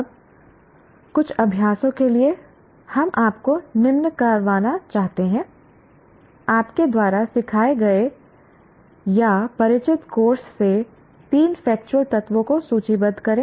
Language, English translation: Hindi, Now, coming to a few exercises, we would like you to list three factual elements from the course you taught are familiar with